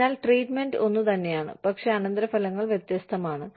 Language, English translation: Malayalam, So, the treatment is the same, but the consequences are different